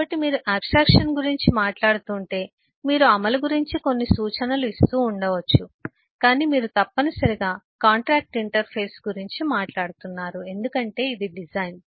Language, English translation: Telugu, so if you are talking of abstraction you may be putting some hints about implementation, but you are necessarily talking about the contractual interface because that is the design